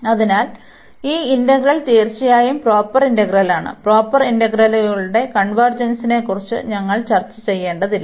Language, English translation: Malayalam, So, this integral is indeed a proper integral and we do not have to discuss about the convergence of improper integrals